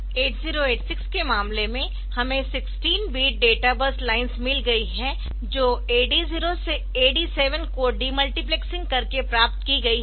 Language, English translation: Hindi, So, in case of 8086 the we have got 16 bit data bus lines obtained by de multiplexing AD 0 to AD 15